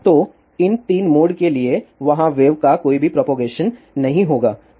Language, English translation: Hindi, So, for these 3 modes, there will not be any propagation of wave